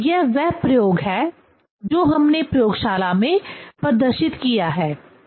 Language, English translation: Hindi, So, that is the experiment we have demonstrated in the laboratory